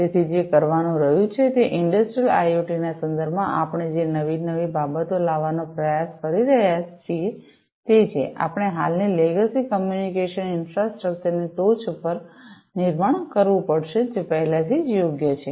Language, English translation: Gujarati, So, what has to be done, is whatever newer things we are trying to bring in the context of Industrial IoT, we will have to be built on top of the existing, legacy communication infrastructure that is already in place right